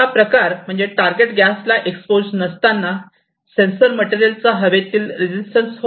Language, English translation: Marathi, This is basically the resistance of the sensor material in air when it is not exposed to the target gas